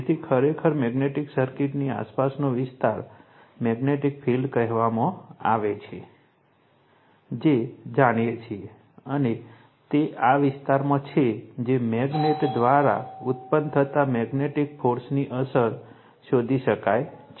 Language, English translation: Gujarati, So, just a magnetic circuit actually, the area around a magnet is called the magnetic field right that you know and it is in this area that we are what you call that the effect of the magnetic force produced by the magnet can be detected right